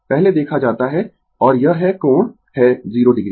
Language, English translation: Hindi, We have seen before and it is angle is 0 degree